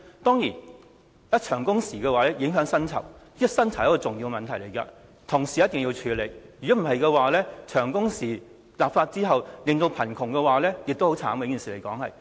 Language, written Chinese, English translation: Cantonese, 當然，限制長工時會影響薪酬，而薪酬是一個重要問題，必須同時處理；否則，立法限制長工時後引起貧窮，也是一件慘事。, Restricting working hours will impact wages so wages are also one important issue and it must be tackled at the same time . Otherwise the enactment of legislation may lead to poverty and worker will have to suffer